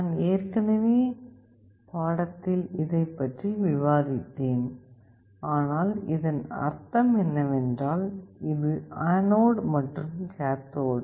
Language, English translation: Tamil, I already discussed this in the lecture, but what does it mean, this is the anode and this is the cathode